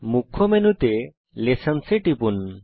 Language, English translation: Bengali, In the Main menu, click Lessons